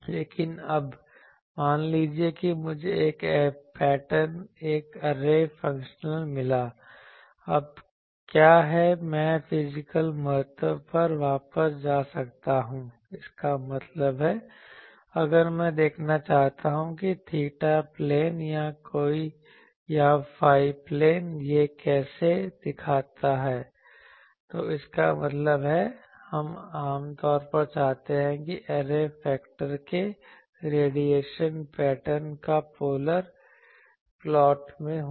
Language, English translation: Hindi, But now, suppose I got a pattern array pattern function, now can I go back to the physical significance that means, if I want to see that in theta plane or phi plane, how it looks like, so that means, we generally want radiation pattern of this array factor to be in the polar plot